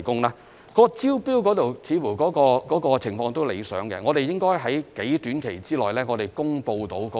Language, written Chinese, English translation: Cantonese, 至於招標方面，情況似乎理想，我們應該能夠在短期內公布結果。, As for the tender exercises it looks like the progress is satisfactory and we should be able to announce the results in due course